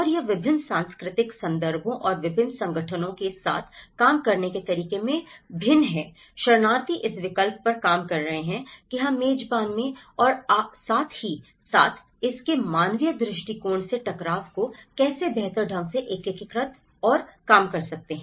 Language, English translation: Hindi, And how it differs in different cultural context and a lot of organizations working with the refugees are working on this option of how we can better integrate and reduce the conflicts in the host and as well as from the humanitarian point of it